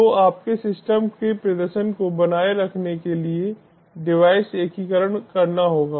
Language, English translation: Hindi, so by maintaining your system performance, the device integration has to be made